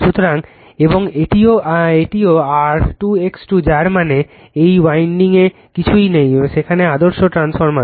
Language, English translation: Bengali, So, and this is also R 2 X 2 that means, this winding as it nothing is there, there ideal transformer